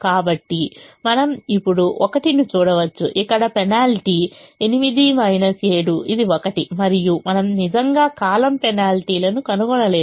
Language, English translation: Telugu, the penalty here is eight minus seven, which is one, and we don't actually find column penalties